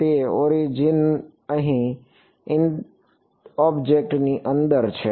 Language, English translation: Gujarati, So, origin is here inside the object